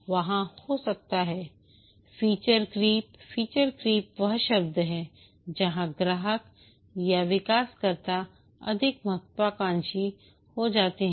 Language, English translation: Hindi, Feature creep is the world where the customers or the developers become more ambitious